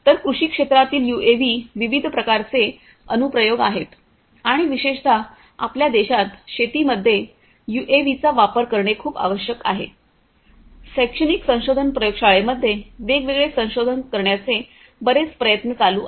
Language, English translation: Marathi, So, UAVs in agriculture there are diverse applications and particularly in our country, use of UAVs in agriculture is very much required is very much there are a lot of different efforts from different research labs, in the academic research labs and so on